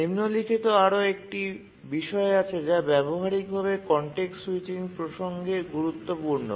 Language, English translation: Bengali, Now let's look at another aspect which is also practically important is the context switching